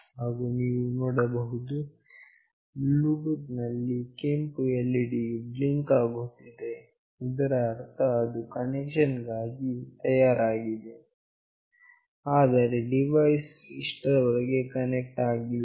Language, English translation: Kannada, And you can see that in the Bluetooth this red LED is blinking, meaning that it is ready for connection, but the device has not connected yet